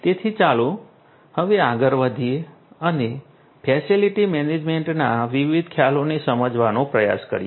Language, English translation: Gujarati, So, let us now go forward and try to understand the different concepts in facility management